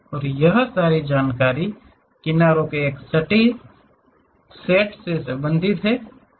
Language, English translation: Hindi, And, all this information is related to set of edges